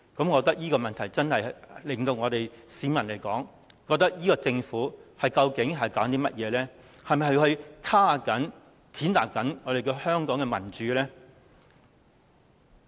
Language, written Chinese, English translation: Cantonese, 我認為這做法真的令市民質疑政府究竟在搞甚麼，是否在抑壓、踐踏香港的民主呢？, I consider the approach will make people question what is going on with the Government and whether it is trying to suppress and trample on Hong Kongs democracy?